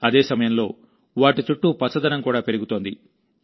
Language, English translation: Telugu, At the same time, greenery is also increasing around them